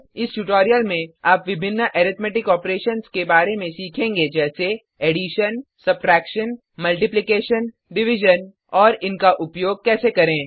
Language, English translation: Hindi, In this tutorial, you will learn about the various Arithmetic Operations namely Addition Subtraction Multiplication Division and How to use them